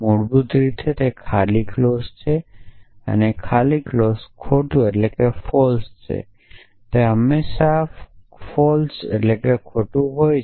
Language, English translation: Gujarati, Basically it is an empty clause empty clause stands for false or it always false